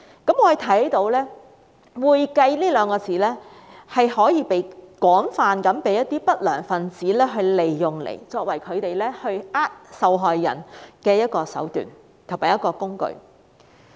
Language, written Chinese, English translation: Cantonese, 我們看到"會計"這兩個字被一些不良分子廣泛利用，作為他們欺騙受害人的一種手段和工具。, We can see that the word accounting has been widely used by undesirable elements as a means and a tool to cheat victims